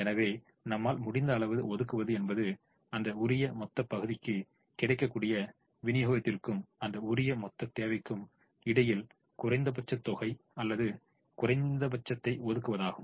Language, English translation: Tamil, so allocating as much as we can is allocating the minimum between, or minimum between, the available supply for that position and the required demand for that position